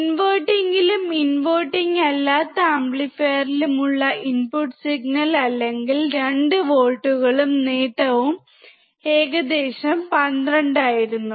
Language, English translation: Malayalam, When the input signal in inverting and non inverting amplifier, or 2 volts and the gain was about 12